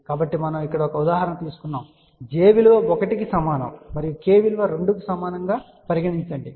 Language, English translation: Telugu, So, just to give you an example here, we have taken here let say j equal to 1 and k equal to 2